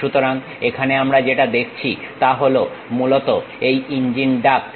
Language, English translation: Bengali, So, here what we are seeing is, basically the engine duct